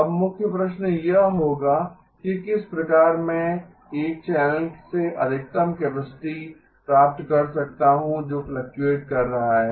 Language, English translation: Hindi, Now the key question would be is how do I get the maximum capacity out of a channel that is fluctuating